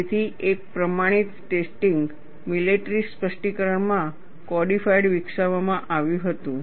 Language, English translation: Gujarati, So, a standardized test, codified in a military specification was developed